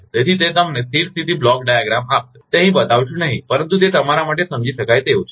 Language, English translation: Gujarati, So, that will give you a steady state block diagram not showing here, but it is understandable to you know